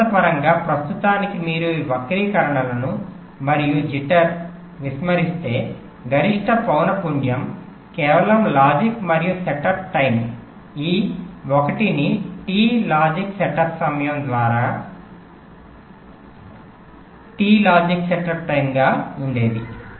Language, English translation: Telugu, and if you ignore this skew and jitter, for the time been, theoretically the maximum frequency would have been just the logic and setup times, just one by t logic setup time